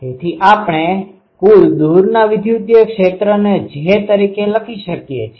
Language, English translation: Gujarati, So, we can write the total far electric field as j